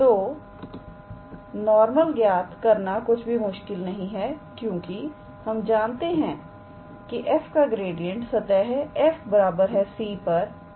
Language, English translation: Hindi, So, calculating normal is not difficult because we know that gradient of f is normal to the surface gradient is normal to the surface f x, y, z equals to c